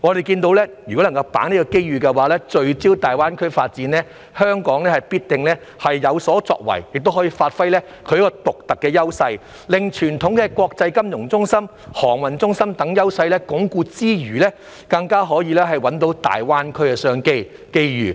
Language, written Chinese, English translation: Cantonese, 如果能夠把握這個機遇，聚焦大灣區發展，香港必定會有所作為，亦可發揮獨特的優勢，除了可鞏固傳統的國際金融中心、航運中心等優勢外，更可找到大灣區的商機和機遇。, If Hong Kong can grasp this opportunity and focus on the development of GBA it will definitely make a difference and will be able to give full play to its unique advantages not only consolidating its traditional advantages as an international financial centre a transportation centre etc but also identifying business opportunities and chances in GBA